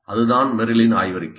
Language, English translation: Tamil, That is Merrill's thesis